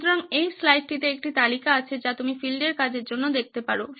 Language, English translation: Bengali, So this slide has a list that you can look at in terms of field work